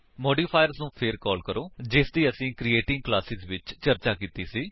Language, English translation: Punjabi, Recall modifiers, we had discussed in Creating Classes